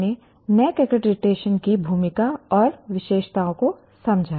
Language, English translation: Hindi, So we understood the role and features of NAC accreditation